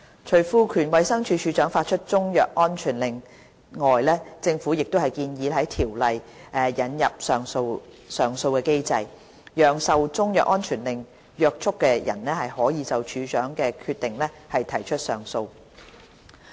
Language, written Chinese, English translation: Cantonese, 除賦權衞生署署長發出中藥安全令外，政府亦建議在《條例》引入上訴機制，讓受中藥安全令約束的人可就署長的決定提出上訴。, In addition to empowering the Director to make CMSOs the Government has also proposed introducing an appeal mechanism into the Bill to allow a person bound by a CMSO to appeal against the decision of the Director